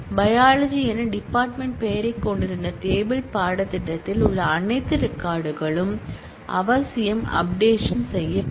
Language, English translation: Tamil, All records in the table course, which had the department name as biology will necessarily get updated